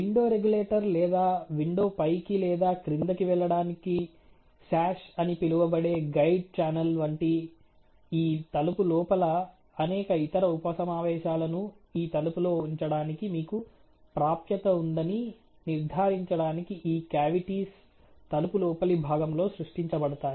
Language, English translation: Telugu, And these cavities are created within the inner of the door to ensure that you have access to placing the various, you know other sub assemblies with in this door like let say the, let say the window regulator or let us say the guide channel called the sash for the window to be able to go up and down